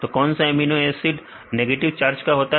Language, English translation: Hindi, What are the negative charged amino acid